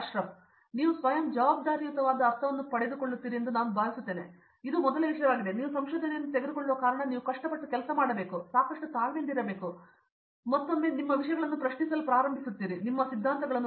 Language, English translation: Kannada, I think you get a sense of self responsiblity that is the first thing, where you take research because you have to work hard and you have to be patient enough, so that is one think and one more thing is you start questioning things and theories which you have been